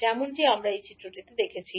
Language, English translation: Bengali, As we see in this figure